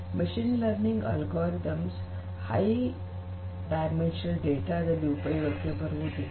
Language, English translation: Kannada, Machine learning algorithms are not useful for high dimensional data